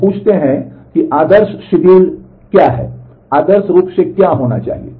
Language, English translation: Hindi, Now let us ask what is the ideal schedule, what is ideally what should happen